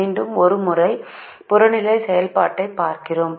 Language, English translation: Tamil, now once again we go back and write the objective function